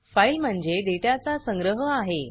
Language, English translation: Marathi, File is a collection of data